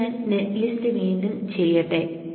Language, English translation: Malayalam, So let us generate the net list